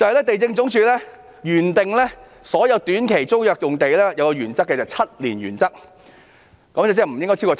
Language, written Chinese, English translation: Cantonese, 地政總署原訂對所有短期租約用地採用 "7 年原則"，即租用年期不應超過7年。, Initially the Lands Department has adopted the seven - year principle in handling all short - term tenancies ie . the term of a short - term tenancy should not exceed seven years